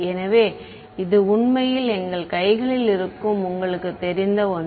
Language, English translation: Tamil, So, that is actually something that is you know in our hands